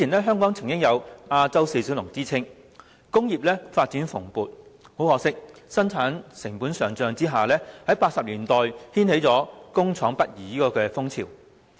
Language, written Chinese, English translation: Cantonese, 香港曾有"亞洲四小龍"之稱，工業發展蓬勃，但可惜由於生產成本上漲 ，1980 年代掀起了工廠北移潮。, Once upon a time our prosperous industrial development won Hong Kong a seat among the Four Asian Little Dragons . However rising production costs had prompted many factories to move northward in the 1980s